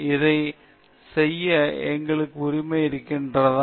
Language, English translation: Tamil, Do we have the right to do that